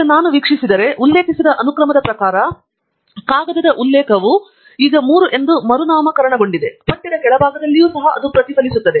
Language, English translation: Kannada, Now, if I view, you can see that the reference for Aziz paper has now renamed as 3 as per the sequence that we have referred and the same will be reflected also at the bottom of the text